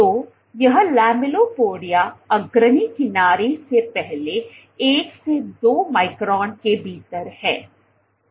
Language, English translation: Hindi, So, this, lamellipodia is within first 1 to 2 microns from the leading edge